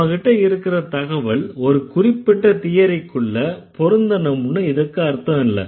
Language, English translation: Tamil, That doesn't mean that the data should change to fit a particular theory